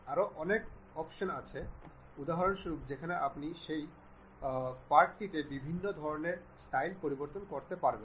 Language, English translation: Bengali, There are many more options also internally where you can change that text to different kind of styles